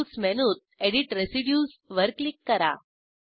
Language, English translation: Marathi, Go to Tools menu click on Edit residues